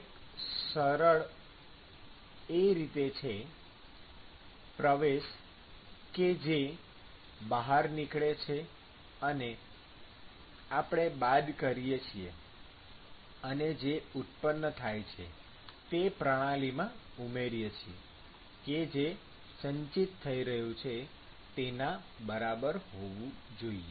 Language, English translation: Gujarati, It is very simple: input, what goes out we subtract that and whatever is generated, you add to the system that should be equal to whatever is being accumulated